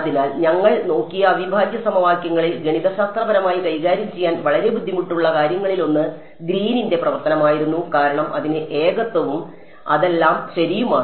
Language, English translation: Malayalam, So, in integral equations which we looked at, one of the very difficult things to deal with mathematically was Green’s function because, it has singularities and all of those things right